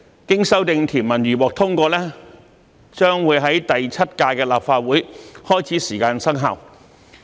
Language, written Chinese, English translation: Cantonese, 經修訂條文如獲通過，將於第七屆立法會開始時生效。, The amended provisions if enacted will take effect at the beginning of the Seventh Legislative Council